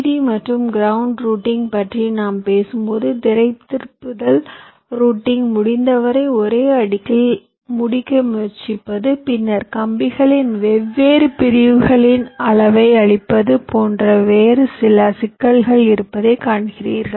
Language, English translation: Tamil, so you see that when we talk about vdd and ground routing, there are some other issues like routablity, trying to complete the routing on the same layer as possible, and then sizing of the different segments of the wires